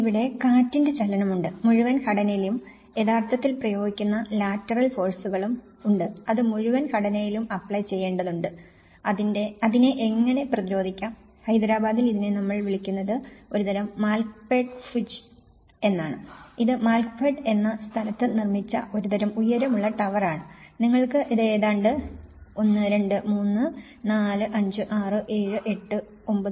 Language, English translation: Malayalam, And there is also the wind movement, there is also the lateral forces which are actually applied on to the whole structure and how it can resist for instance, in Hyderabad is called we call as; nickname is a kind of Malkpet Bhuj, it’s a kind of tall tower which has been built in a place called Malkpet and you can see that 1, 2, 3, 4, 5, 6, 7, 8,